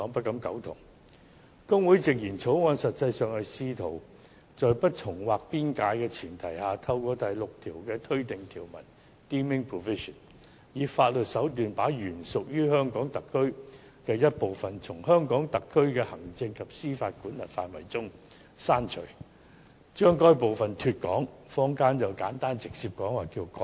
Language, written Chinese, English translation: Cantonese, 大律師公會直言，《條例草案》實際上是試圖在不重劃邊界的前提下，透過第6條的"推定條文"，以法律手段把原屬於香港特區的一部分，從香港特區的行政及司法管轄範圍中剔除，把該部分"脫港"，坊間直截了當稱之為"割地"。, HKBA put it bluntly that the Bill in effect is an attempt to exclude―or de - establish according to HKBA or simply cede as the popular saying goes―stopping short of a redraw of boundary an original part of Hong Kong from the executive and judicial jurisdiction of the Hong Kong Special Administrative Region HKSAR through the legal means of introducing a deeming provision in the form of clause 6 of the Bill